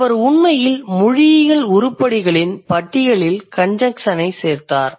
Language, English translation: Tamil, So, so he actually added the conjunctions in the list of linguistic items